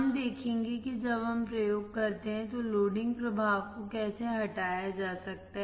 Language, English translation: Hindi, We will see how the loading effect can be removed when we perform the experiments